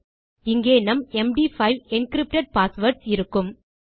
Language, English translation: Tamil, So, here we will have our md5 encrypted passwords